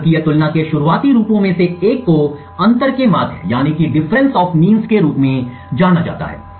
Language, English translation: Hindi, One of the earliest forms of statistical comparison is known as the Difference of Means